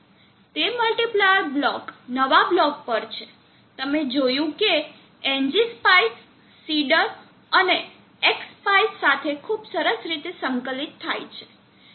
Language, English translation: Gujarati, It is multiplier block is on new block you see that NG spice integrates very nicely with the inserter and X spice